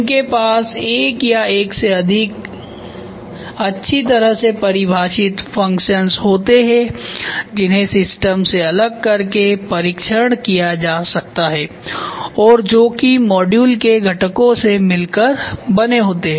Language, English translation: Hindi, They have one or more well defined functions that can be tested in isolation from the system and are a composite of components of the module